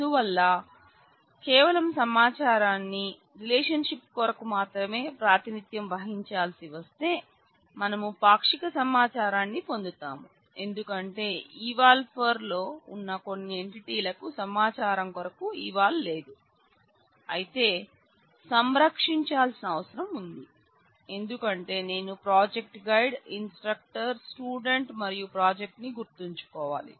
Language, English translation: Telugu, So, if we have to represent the information only for the eval for relationship; we will get partial information because it is possible that some entities in eval for does not have the eval for information do not feature there, but need to be preserved because I need to remember the project guide, instructor, the student and the project